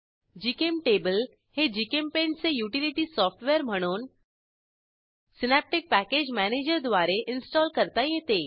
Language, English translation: Marathi, GChemTablecan be installed as a utility software of GChemPaint * using Synaptic Package Manager